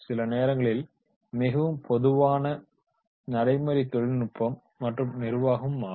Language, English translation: Tamil, Sometimes very common practices is of the technology and management